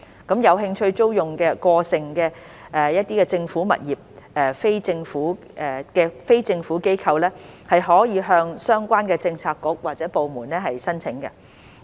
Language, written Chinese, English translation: Cantonese, 有興趣租用過剩政府物業的非政府機構可向相關政策局或部門申請。, An NGO who is interested to lease such surplus government accommodation can apply to the relevant Policy Bureaux or departments